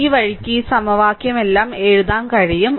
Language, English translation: Malayalam, So, this way you can write all this equation